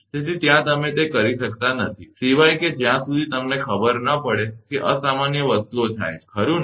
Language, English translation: Gujarati, So, there you cannot do that, unless and until some you know abnormal things happens, right